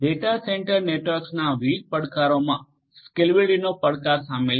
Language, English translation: Gujarati, Different challenges of data centre networks include scalability challenges